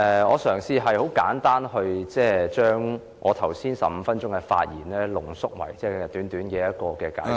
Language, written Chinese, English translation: Cantonese, 我嘗試將我剛才15分鐘的發言，濃縮為簡短的解釋......, Let me try to shorten my earlier speech of 15 minutes to a brief explanation